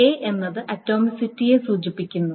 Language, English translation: Malayalam, A stands for atomicity